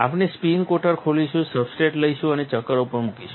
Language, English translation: Gujarati, We will open the spin coater, take a substrate and place on the chuck